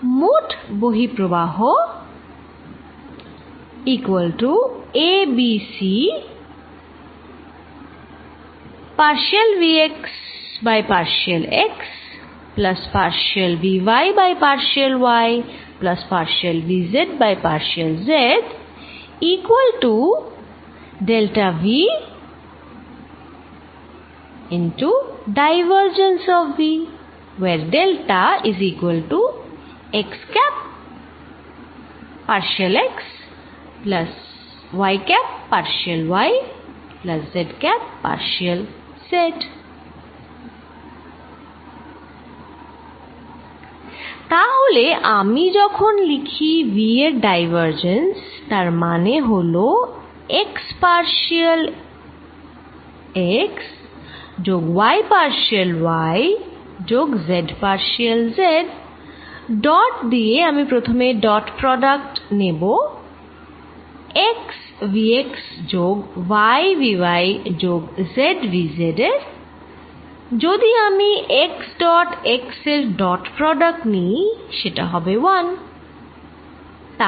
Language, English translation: Bengali, So, that when I write divergence of v it is partial x plus y partial y plus z partial z dotted with and I am going to take dot product first x v x plus y v y plus z v z, if I take dot product x dot x gives me 1